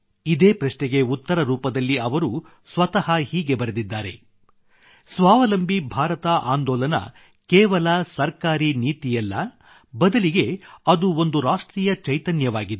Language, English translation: Kannada, In answer to this very question, he himself further writes that "'Self reliant India" is not just a Government policy, but is a national spirit